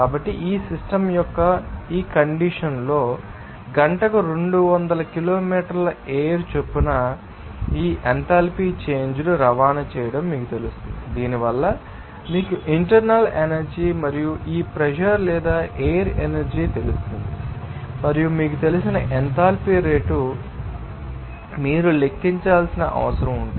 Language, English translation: Telugu, So, under this condition of this system at the rate of flow of 200 kilometres per hour stream, which will you know transport this enthalpy change because of this you know internal energy and this pressure or flow energy and what we that you know rate of enthalpy will be there that you have to calculate